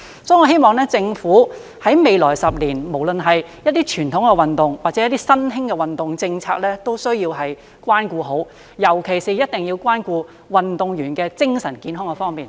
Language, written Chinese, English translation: Cantonese, 所以，我希望政府未來10年無論是對於一些傳統運動或新興的運動政策，都需要關顧好，尤其一定要關顧運動員的精神健康方面。, Therefore I hope that in the next 10 years the Government will take good care of its policies on both traditional and emerging sports and particular attention should be paid to the mental health of athletes